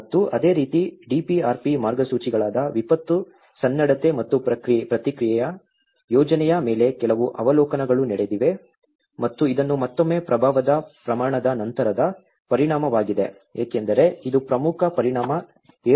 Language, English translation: Kannada, And similarly, there have been some observations on the disaster preparedness and response plan which is a DPRP Guidelines and this is again after the scale of impact because this is a major impact 7